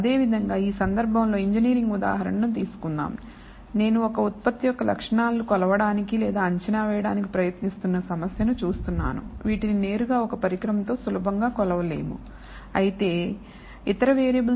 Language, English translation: Telugu, So, similarly let us take an engineering example in this case I am looking at a problem where I am trying to measure or estimate the properties of a product, which cannot be measured directly by means of an instrument easily